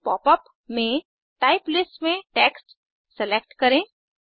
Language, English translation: Hindi, In the new popup, let us select Text in the Type list